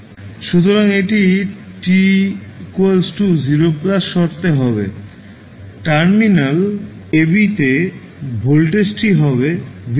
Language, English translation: Bengali, So, it will at t 0 plus condition, the voltage across terminal ab will become v naught